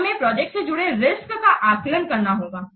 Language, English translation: Hindi, Then we have to assess the risks involved with the projects